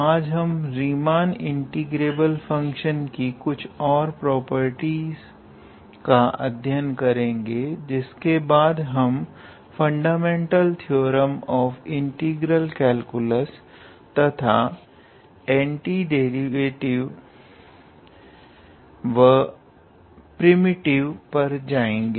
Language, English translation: Hindi, Today, we will list few more properties of Riemann integrable functions, and then we go to fundamental theorem of integral calculus, and what do we mean by anti derivatives and primitive